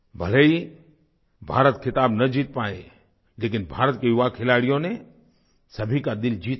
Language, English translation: Hindi, Regardless of the fact that India could not win the title, the young players of India won the hearts of everyone